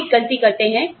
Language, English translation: Hindi, You make a mistake